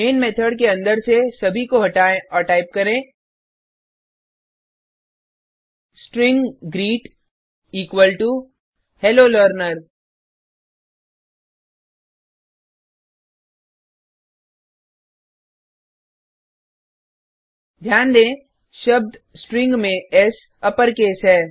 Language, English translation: Hindi, remove everything inside the main method and type String greet equal to Hello Learner : Note that S in the word String is in uppercase